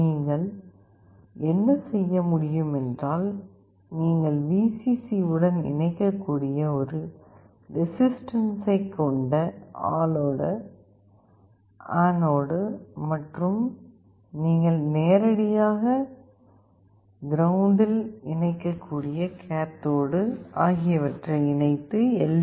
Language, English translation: Tamil, What you can do, the anode with a resistance you can connect to Vcc and the cathode you can directly connect to ground, and we see whether the LED glows or not